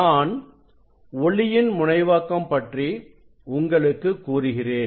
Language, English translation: Tamil, let me just tell you about the polarization of light